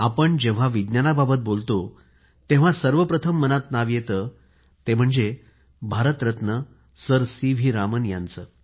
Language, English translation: Marathi, When we talk about Science, the first name that strikes us is that of Bharat Ratna Sir C